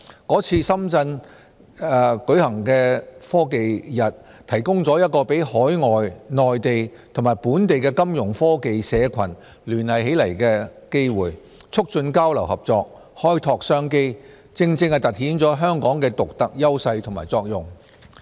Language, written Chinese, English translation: Cantonese, 是次深圳日提供一個讓海外、內地和本地的金融科技社群聯繫起來的機會，促進交流合作，開拓商機，正正突顯了香港的獨特優勢和作用。, The Shenzhen Day was an opportunity to connect Fintech communities in foreign countries the Mainland and Hong Kong promote exchanges and cooperation and create business opportunities highlighting the unique advantages and functions of Hong Kong